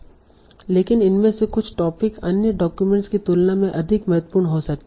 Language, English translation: Hindi, But some of these might be more important for this topic or the document than others